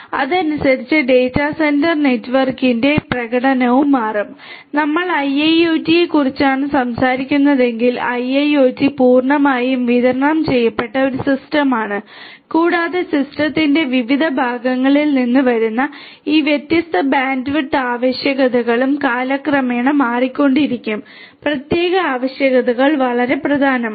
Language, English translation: Malayalam, So, correspondingly the performance of the data centre network will also change and if we are talking about IIoT, IIoT is a fully distributed system and these different bandwidth requirements coming from the different parts of the system might also change over time so, catering to this particular requirements are very important